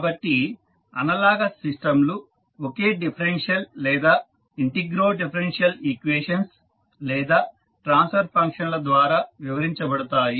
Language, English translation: Telugu, So, the analogous systems are described by the same differential or maybe integrodifferential equations or the transfer functions